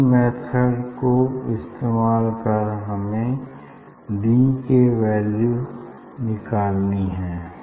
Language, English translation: Hindi, using this method we have to find out d